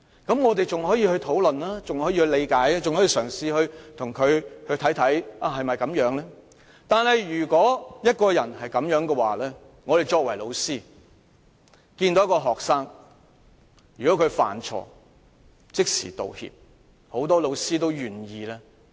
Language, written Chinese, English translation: Cantonese, 不過，如果一個人有他的表現......如果有學生犯錯而即時道歉，很多老師都願意原諒他。, But if a person behaves in the same way as he did If a student apologizes right after making a mistake many teachers will be willing to forgive him